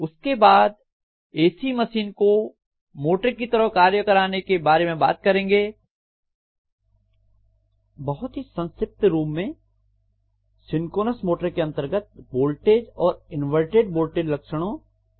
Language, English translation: Hindi, Then we will be talking about the same machine functioning as a motor, very briefly that is synchronous motor under which we will be talking about V and inverted V characteristics